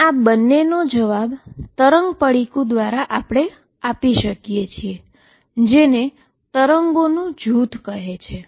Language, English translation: Gujarati, And both of these are answered by something call the group of waves